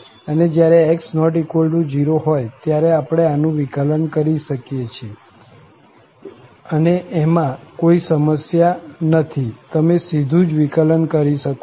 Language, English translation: Gujarati, And when x is not equal to 0, we can differentiate this there is no issue, you can directly differentiate